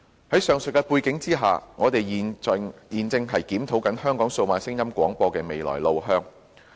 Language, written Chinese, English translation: Cantonese, 在上述背景下，我們正在檢討香港數碼廣播的未來路向。, Against the above background we are conducting a review on the way forward of DAB services in Hong Kong